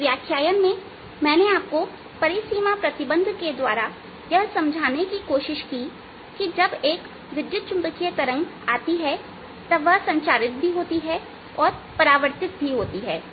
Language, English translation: Hindi, so what are shown you in this lecture is through the boundary condition when an is incident electromagnetic wave comes, it gets both reflected as well as transmitted